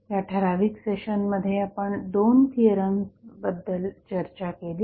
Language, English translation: Marathi, So, in this particular session, we discussed about 2 theorems